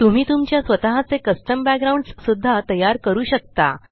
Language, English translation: Marathi, You can even create your own custom backgrounds